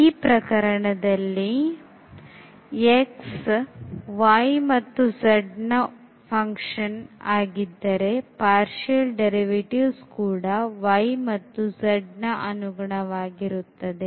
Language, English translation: Kannada, So, in this case for x is equal to the function of y and z then the partial derivatives with respect to y and z will appear